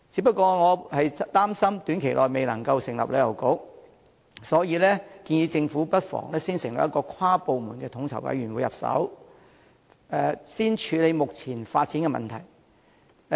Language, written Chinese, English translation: Cantonese, 不過，我擔心短期內未能成立旅遊局，故建議政府不妨從成立跨部門的統籌委員會入手，先處理目前的發展問題。, Yet I am concerned that it may not be possible to set up a Tourism Bureau in the short term . That is why I have suggested that the Government should start off by establishing an inter - departmental coordination committee to tackle the existing development problems first